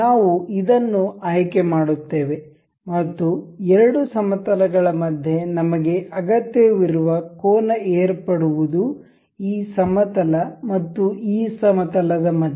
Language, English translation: Kannada, We will select this and the two planes that we need angle between with is this and this plane